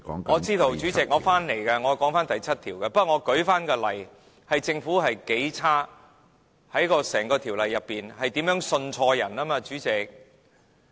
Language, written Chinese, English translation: Cantonese, 我知道，主席，我會說回第7條，不過我只是舉例，指出政府有多不堪。在整項《條例草案》中，如何信錯人，主席？, I know Chairman I will return to clause 7 . I am just citing examples to show how deplorable the Government is and how it has trusted the wrong people in the introduction of the Bill Chairman